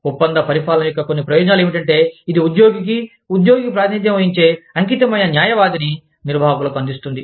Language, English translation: Telugu, Some advantages of contract administration are, it provides the employee, with an advocate dedicated to, representing the employee's case, to the management